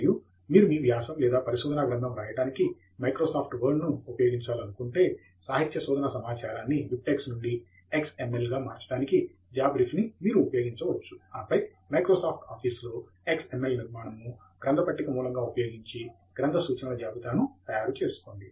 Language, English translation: Telugu, And if you prefer to use Microsoft Word to write your article or thesis, then you can use JabRef to convert the literature data from BibTeX to XML, and then use XML format to provide the bibliographic list of references as a bibliographic source in Microsoft Office